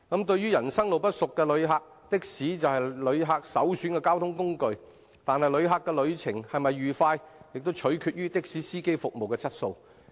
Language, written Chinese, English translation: Cantonese, 對於人生路不熟的旅客，的士是他們首選的交通工具，但旅程是否愉快便取決於的士司機的服務質素。, As visitors are not familiar with the place taxi is their preferred means of transport; and whether they have a pleasant ride hinges upon the service quality of taxi drivers